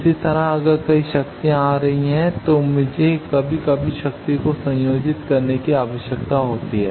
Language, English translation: Hindi, Similarly, if there are several powers are coming I need to sometimes combine the power